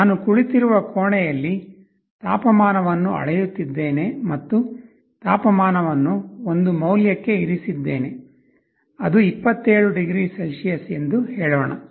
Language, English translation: Kannada, Suppose in a room where I am sitting, I am measuring the temperature and I have a set temperature, let us say 27 degree Celsius